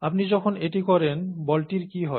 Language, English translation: Bengali, When you do that, what happens to the ball